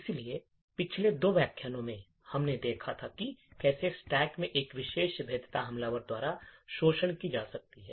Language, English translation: Hindi, So, in the last two lectures we had actually looked at how one particular vulnerability in the stack can be exploited by the attacker